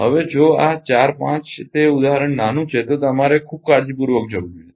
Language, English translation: Gujarati, Now, if this 4 5 the example small one you should go through very carefully right